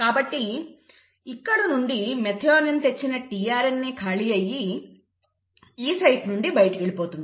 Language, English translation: Telugu, So from here the tRNA which had brought in the methionine is free, so this tRNA will go out from the E site